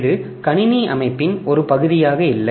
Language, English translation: Tamil, So, this is not no more part of the computer system